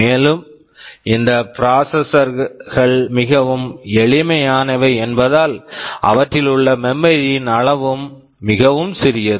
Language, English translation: Tamil, And because these processors are very simple, the amount of memory they have is also pretty small